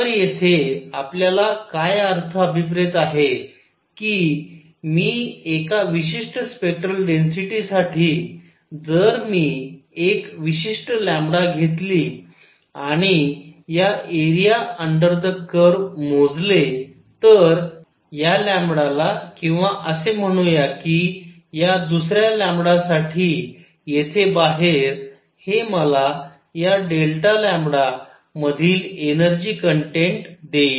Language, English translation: Marathi, What we mean here is if I take for spectral density; if I take a particular lambda and calculate the area under this curve; at this lambda or calculate area at say another lambda out here; this would give me the energy content in this d lambda